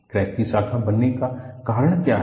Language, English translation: Hindi, What causes the crack to branch